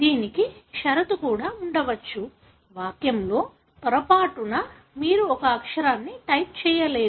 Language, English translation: Telugu, It could also have a condition, wherein in the sentence by mistake you have not typed a letter